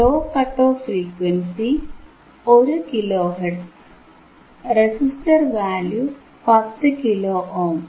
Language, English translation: Malayalam, So, low cut off frequency f L, 1 kilo hertz ok, with a resistor value of 10 kilo ohm